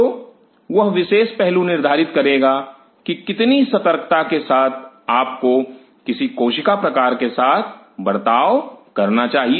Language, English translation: Hindi, So, that particular aspect will determine how much carefully have to be with cell type you are dealing with